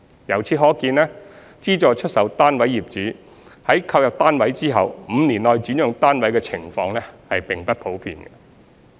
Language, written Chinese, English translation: Cantonese, 由此可見，資助出售單位業主在購入單位後5年內轉讓單位的情況並不普遍。, Thus it is not common for SSF owners to sell their flats within the first five years of purchase